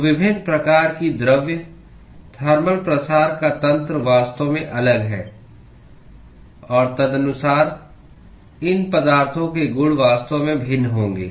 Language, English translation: Hindi, So, different types of materials the mechanism of thermal diffusion is actually different; and accordingly the properties of these materials would actually be different